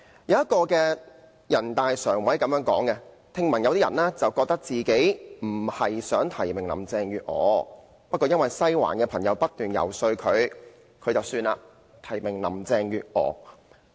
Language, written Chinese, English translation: Cantonese, 有人大常委曾說過，聽聞有些選舉委員會委員本身並非想提名林鄭月娥，但因為"西環"的朋友不斷遊說，所以便提名林鄭月娥。, According to a member of the Standing Committee of the National Peoples Congress NPCSC there are hearsays that although some EC members did not intend to nominate Mrs Carrie LAM in the first place they eventually did so under constant lobbying from the Western District